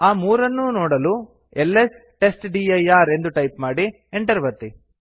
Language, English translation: Kannada, To see them type ls testdir and press enter